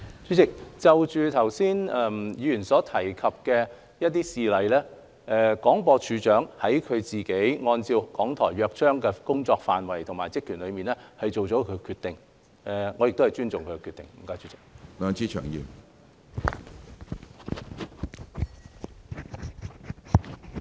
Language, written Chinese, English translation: Cantonese, 主席，就着議員剛才提及的一些事例，廣播處長按照《港台約章》的工作範圍及其職權，作出了他的決定，而我亦尊重他的決定。, President regarding some of the examples mentioned earlier by Members the Director of Broadcasting has made decisions based on the programme areas and purview under the Charter and I respect his decisions